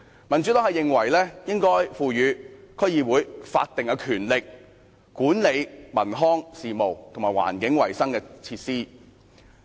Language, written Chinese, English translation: Cantonese, 民主黨認為應該賦予區議會法定的權力，管理文康事務和環境衞生設施。, The Democratic Party considers it necessary to confer on DCs statutory powers to manage cultural and recreational matters as well as environmental hygiene facilities